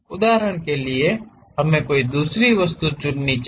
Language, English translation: Hindi, For example, let us pick another object